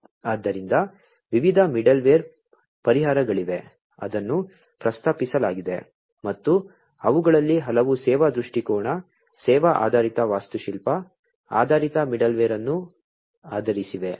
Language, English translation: Kannada, So, there are different middleware solutions, that are proposed and many of them are based on the service orientation, service oriented architecture based middleware